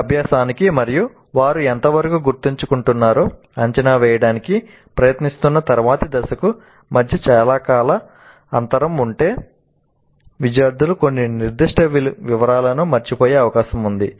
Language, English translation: Telugu, If there is a long time gap between this learning and the subsequent phase of trying to assess what is the extent to which they are remembering